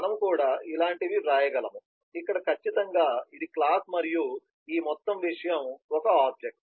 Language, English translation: Telugu, we could write something like this as well, where certainly this is the class and this whole thing is an object